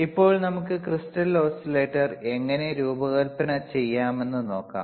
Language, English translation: Malayalam, Now, let us see how we can design the crystal oscillator, how we can design the crystal oscillator or you can construct crystal oscillator